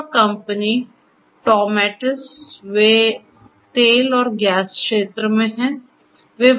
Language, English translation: Hindi, Another company Toumetis, they are in the oil and gas space